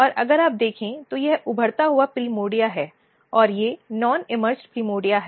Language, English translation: Hindi, And if you look this is emerged primordia and these are the non emerged primordia